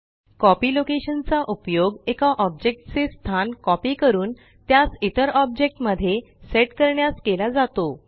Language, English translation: Marathi, Copy location constraint is used to copy one objects location and set it to the other object